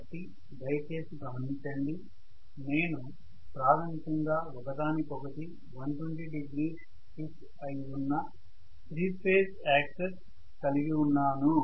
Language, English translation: Telugu, So please note that I am going to have basically all the 3 phase axis shifted from each other by 120 degree